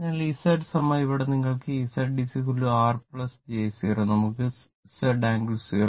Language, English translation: Malayalam, So, Z is equal to here you can make Z is equal to R plus j 0 is equal to we can write Z angle 0